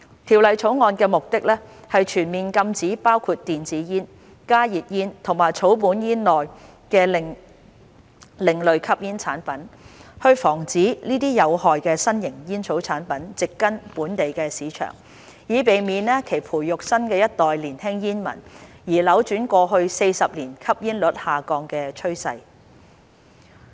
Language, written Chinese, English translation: Cantonese, 《條例草案》的目的，是全面禁止包括電子煙、加熱煙和草本煙在內的另類吸煙產品，防止這些有害的新型煙草產品植根本地市場，以免其培育新一代年輕煙民，而扭轉過去40年吸煙率下降的趨勢。, The purpose of the Bill is to impose a full ban on ASPs including electronic cigarettes HTPs and herbal cigarettes and prevent these harmful new tobacco products from taking root in the local market lest they should nurture a new generation of young smokers and reverse the declining trend of smoking prevalence over the past 40 years